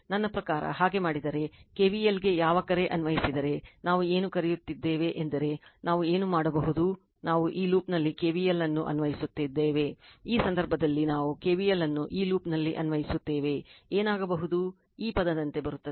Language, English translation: Kannada, I mean if you do so, if you apply your what you call KVL then, what you call we do is what we can do is we apply KVL in this loop, we apply KVL in this loop in this case, what will happen am coming like this term